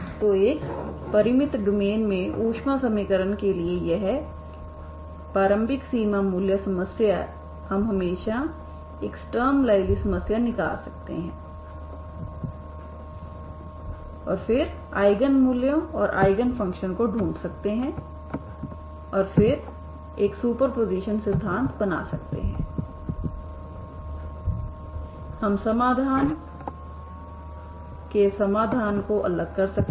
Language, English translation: Hindi, So this heat equation boundary value problem boundary value problem boundary initial value problems initial boundary value problem for the heat equation in a finite domain we can always extract a Sturm liouville problem and then finding eigen values and eigen functions and then make a superposition principle we can find the solutions separation of variables solution, okay